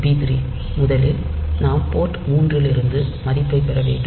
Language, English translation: Tamil, So, p 3 first of all we have to get the value from port 3